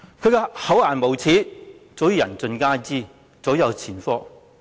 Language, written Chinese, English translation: Cantonese, 他的厚顏無耻早已人盡皆知，早有前科。, His shamelessness is known to all and there are numerous precedents